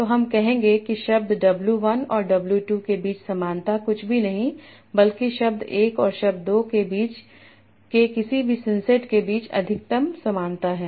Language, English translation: Hindi, So I will say similarity between words W and W2 is nothing but the maximum similarity between any of the senses of word 1 and word 2